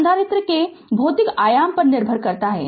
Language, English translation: Hindi, So, it depends on the physical dimension of the capacitor